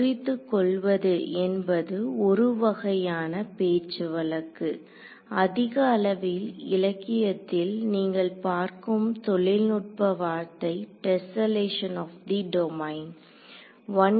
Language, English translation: Tamil, So, breaking up is a sort of a colloquial word, the more technical word you will see in the literature is tesselation of the domain ok